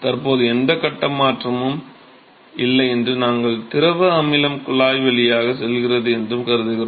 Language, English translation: Tamil, As of now we assume that there is no phase change and the fluid acid goes through the tube